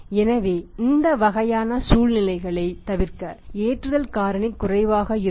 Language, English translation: Tamil, So, just avoid this kind of situation sometime the loading factor is lesser